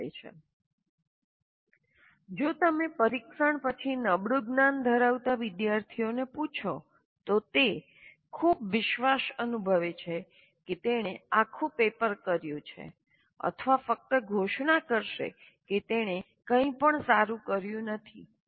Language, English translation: Gujarati, If you ask a poor metacognitive student, after the test, he may feel very confident that he has asked the entire paper, or otherwise he will just declare that I haven't done anything well